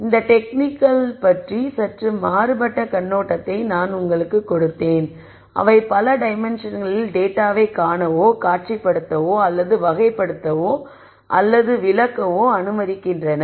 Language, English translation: Tamil, So, I gave you a slightly different perspective on these techniques in terms of them allowing us to see or visualize or characterize or explained data in multiple dimensions